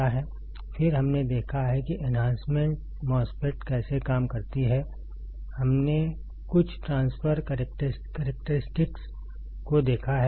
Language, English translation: Hindi, Then, we have seen how the enhancement MOSFET works; we have seen some transfer characteristics